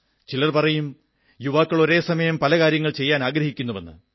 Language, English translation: Malayalam, Some people say that the younger generation wants to accomplish a many things at a time